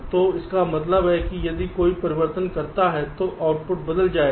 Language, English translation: Hindi, so under what conditions will the output change